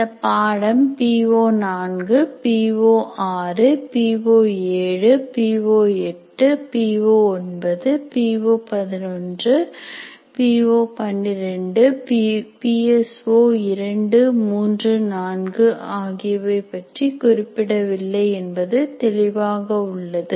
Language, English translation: Tamil, And it is very clear this particular course is not addressing PO4, PO6, PO 7, PO 8, PO 9 and PO11 and PO 12 as well, and PS4 3 4 are also not addressed